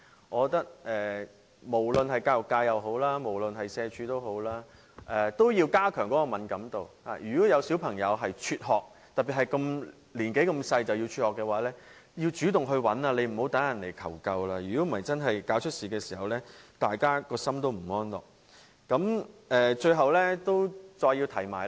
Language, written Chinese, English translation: Cantonese, 我覺得無論是教育界或社會福利署，也要加強敏感度，如果發現有小朋友輟學，特別是這麼年幼便輟學，便要主動查找，而不是要等人來求救，否則發生意外時，大家良心也會感到不安。, In my view both the education sector and the Social Welfare Department need to be more sensitive to such cases . If there are any drop - out students especially younger students they have to be proactive in looking into the cases instead of waiting for people to seek help . Otherwise if any accident happens they will suffer pangs of conscience